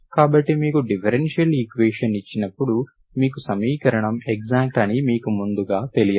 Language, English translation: Telugu, So we do not, when you are given a differential equation, you know, you do not know prior to that the equation is exact, okay